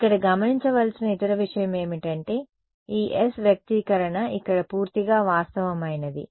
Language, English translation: Telugu, The other thing to note over here is this S expressional over here its purely real